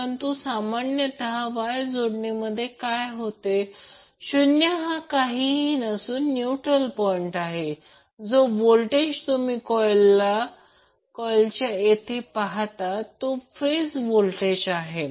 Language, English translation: Marathi, But generally what happens in case of Y connected the o will be nothing but the neutral point so that the voltage which you seeacross the potential coil will be the phase voltage